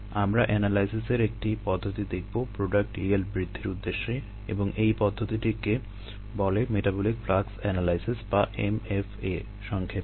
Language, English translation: Bengali, we are going to look at a method of analysis toward improving product yields, and that method is called metabolic flux analysis, or m f a for short